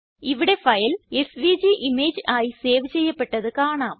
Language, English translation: Malayalam, Here we can see that file is saved as a SVG image